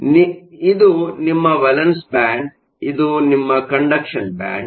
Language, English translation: Kannada, So, this is your valence band, this is your conduction band